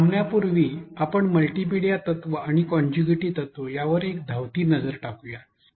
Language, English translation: Marathi, Before we wrap up let us have a quick look at the multimedia principle and contiguity principle